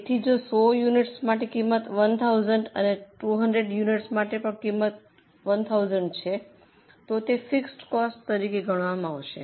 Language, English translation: Gujarati, So, for 100 units if cost is 1,000, for 200 unit also it remains 1,000, then that will be considered as fixed costs